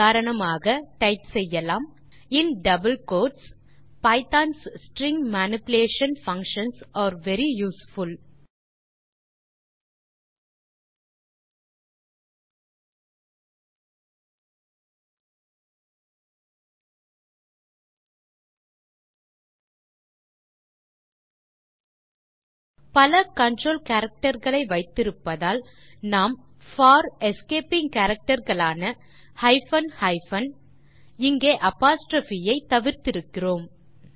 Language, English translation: Tamil, For example you can type in double quotes Pythons string manipulation functions are very useful By having multiple control characters, we avoid the need for escaping characters hyphen hyphen in this case the apostrophe